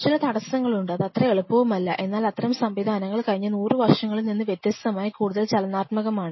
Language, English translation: Malayalam, There are some any blockages also it is not so easy, but such systems are unlike last 100 years these are more dynamic system